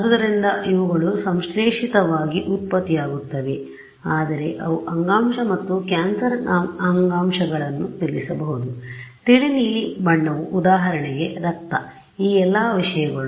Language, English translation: Kannada, So, those components these are synthetically generated, but they could correspond to something you know some fact tissue and cancerous tissue the light blue could be for example, blood all of these things